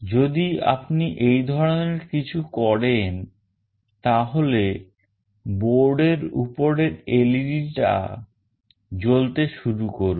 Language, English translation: Bengali, If we do something like this the on board led will start glowing